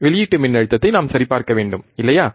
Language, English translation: Tamil, We have to check the output voltage, right isn't it